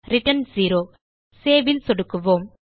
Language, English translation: Tamil, Return 0 Click on Save